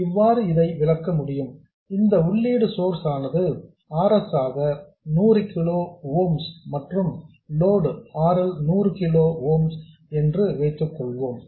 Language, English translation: Tamil, For the sake of illustration let's assume that this input source has an RS which is 100 kilo oom and the load RL is also 100 kilo oan